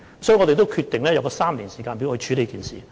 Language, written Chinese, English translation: Cantonese, 所以，我們決定用這個3年時間表來處理這事。, We have decided to take three years to deal with this problem